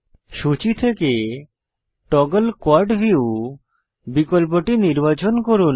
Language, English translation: Bengali, Select the option Toggle Quad view from the list